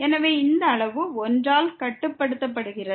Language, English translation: Tamil, So, this is this quantity is bounded by 1